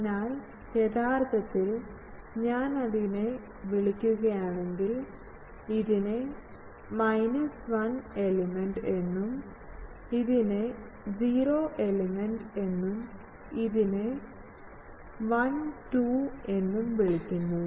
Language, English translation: Malayalam, So, actually if I call that, let us say this is called minus 1 element, this is called 0 element, this is called 1 2